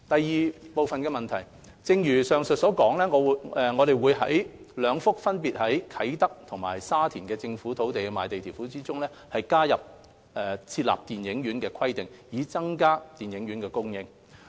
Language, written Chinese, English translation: Cantonese, 二正如上文所述，我們會在兩幅分別位於啟德和沙田的政府土地的賣地條款中，加入設立電影院的規定，以增加電影院供應。, 2 As aforementioned we will incorporate requirement to include a cinema in the land sale conditions of two designated government land sites in Kai Tak and Sha Tin with a view to increasing the supply of cinemas